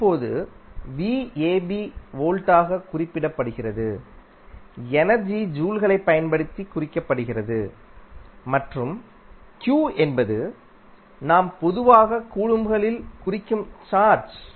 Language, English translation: Tamil, Now, v ab we simply say as volt energy, we simply give in the form of joules and q is the charge which we generally represent in the form of coulombs